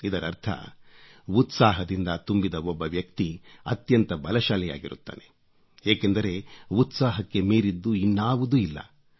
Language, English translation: Kannada, This means that a man full of enthusiasm is very strong since there is nothing more powerful than zest